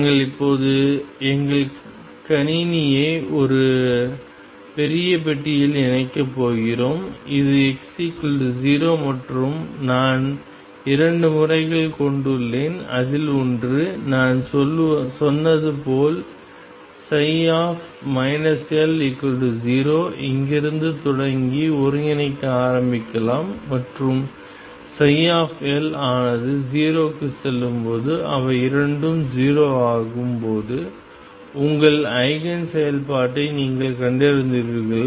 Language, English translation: Tamil, We are now going to enclose our system in a huge box this is x equals 0 and I have 2 methods one as I said I can start integrating from here starting with psi minus L equals 0 and come down to psi L going to 0 when they both become 0 you have found your eigenfunction